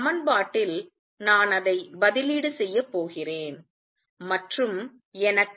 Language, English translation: Tamil, I am going to substitute that in the equation and I get